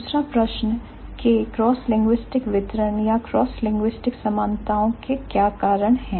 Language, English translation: Hindi, Second question, what are the reasons of these cross linguistic distributions or the cross linguistic similarities